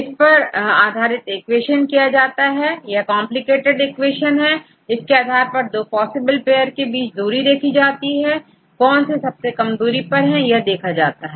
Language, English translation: Hindi, Based on that they derive this equation, this is a complicated equation with the depending upon the distance to get what are the possible pairs, which is connected to each other with respect to the smallest distance